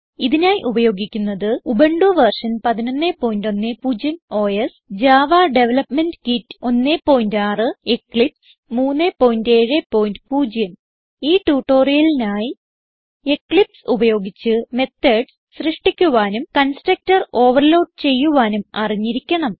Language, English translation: Malayalam, Here we are using Ubuntu version 11.10 OS Java Development kit 1.6 And Eclipse 3.7.0 To follow this tutorial you must know how to create methods and To overload constructor in java using eclipse